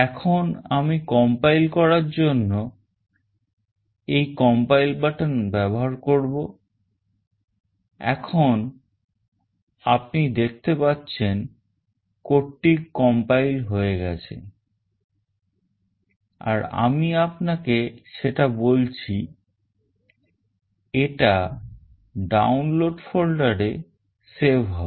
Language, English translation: Bengali, Now, I will use this compile button to compile it, now the code is getting compiled you can see and I have told you that, it will get saved in Download folder